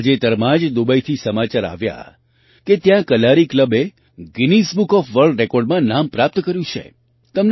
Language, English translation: Gujarati, Recently news came in from Dubai that the Kalari club there has registered its name in the Guinness Book of World Records